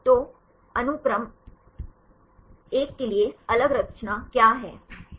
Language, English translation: Hindi, So, what is the different composition for a sequence 1